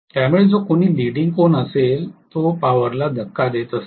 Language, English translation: Marathi, So, whichever is having a leading angle that pushes the power in